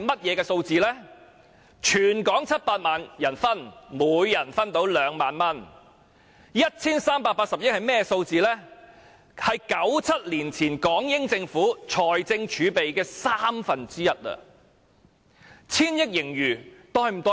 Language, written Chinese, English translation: Cantonese, 如果分配給全港700萬人，每人可以分到2萬元 ；1,380 億元是1997年前港英政府財政儲備的三分之一。, If the money is distributed to all 7 million Hong Kong people each person will get 20,000; and 138 billion also represents one third of the fiscal reserve of the former British Hong Kong Government in 1997